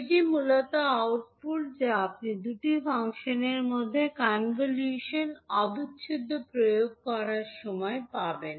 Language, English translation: Bengali, So this is the basically the output which you will get when you apply convolution integral between two functions